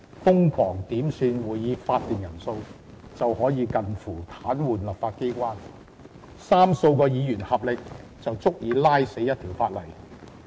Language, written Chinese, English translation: Cantonese, 瘋狂點算會議法定人數便可以近乎癱瘓立法機關，三數位議員合力便足以拖垮一項法案。, A large number of quorum calls can paralyse this legislature and a few Members together can topple a bill